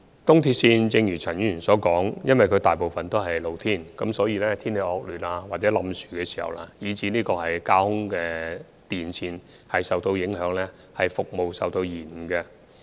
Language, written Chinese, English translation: Cantonese, 正如陳議員所說，由於東鐵線大部分都在戶外，所以當天氣惡劣，有塌樹情況或架空電纜受影響時，服務便會受延誤。, As Mr CHAN said since a large proportion of ERL is in the open area the service will be suspended due to bad weather fallen trees or damaged overhead power lines